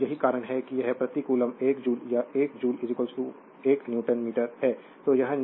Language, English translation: Hindi, So, that is why it is 1 joule per coulomb or 1 joule is equal to your 1 Newton meter